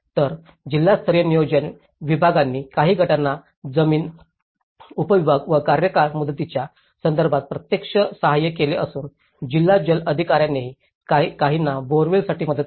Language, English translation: Marathi, Whereas, the district level planning departments, they have actually assisted some of the groups in terms of land subdivision and tenure issues and also district water authorities also assisted some with the boreholes